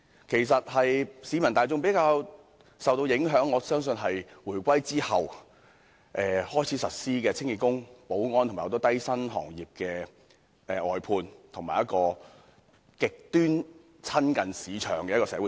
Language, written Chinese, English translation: Cantonese, 其實，我相信令市民大眾較受影響的是回歸後開始實施的清潔工、保安及眾多低薪工種的外判，以及一種極端親近市場的社會政策。, In fact I believe the general public is more likely to feel the pinch of the outsourcing of cleaning work security services and a number of low - paid jobs and an extremely market - oriented social policy after the reunification